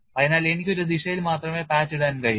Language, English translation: Malayalam, So, I can put patch only on one direction